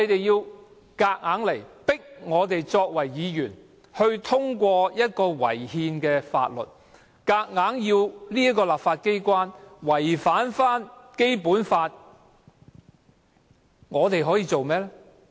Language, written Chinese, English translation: Cantonese, 當政府強行要議員通過這項違憲的《條例草案》，強行要立法機關違反《基本法》，我們可以做甚麼？, When the Government presses Members to pass the Bill despite its unconstitutionality and presses the legislature to act in contravention of the Basic Law what can we do?